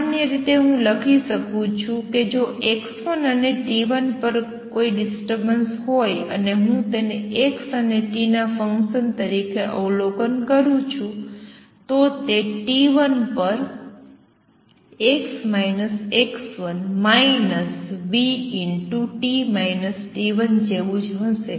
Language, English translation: Gujarati, In general, I can write if there was a disturbance at x 1 and t 1 and I am observing it as a function of x and t this would be same as x minus x 1 minus v t minus t 1 at t 1